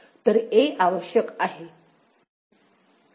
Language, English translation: Marathi, So, a is there, a is required